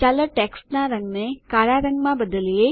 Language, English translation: Gujarati, Lets change the color of the text to black